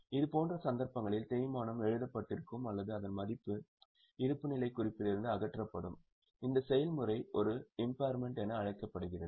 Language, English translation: Tamil, In such cases the depreciation is written off or its value is removed from the balance sheet, that process is called as an impairment